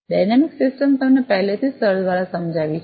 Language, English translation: Gujarati, Dynamic system is already explained to you by sir